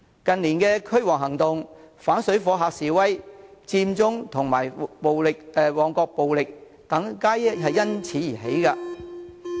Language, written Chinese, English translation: Cantonese, 近年的"驅蝗行動"、反水貨客示威、佔中及旺角暴動等皆因此而起。, The anti - locust campaign and protests against parallel traders in recent years and also the Occupy Central movement and riots in Mong Kok were the resultant phenomena